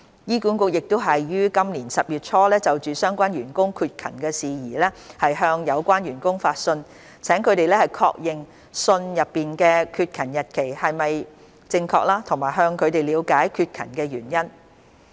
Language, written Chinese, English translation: Cantonese, 醫管局已於今年10月初就相關員工缺勤的事宜向有關員工發信，請他們確認信內的缺勤日期是否正確及向他們了解缺勤的原因。, In early October this year HA issued letters to the staff members concerned requesting for their verification of the days of absence as stated in the letter and explanation on their absence from duty